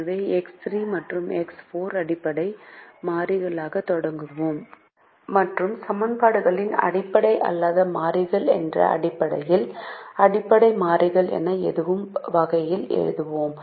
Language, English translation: Tamil, so we start with x three and x four as basic variables and we write the equations in such a way that they are written as basic variables in terms of the non basic variables